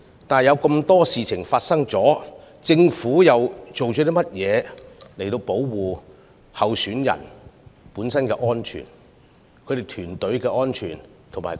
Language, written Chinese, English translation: Cantonese, 不過，在眾多事情發生後，政府採取了甚麼措施保障參選人、其團隊和辦事處的安全呢？, But after so many incidents have happened what measures have been taken by the Government to protect the safety of candidates their agents and their offices?